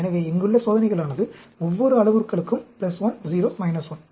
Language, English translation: Tamil, So, the experiments here is plus 1, 0, minus 1, plus 1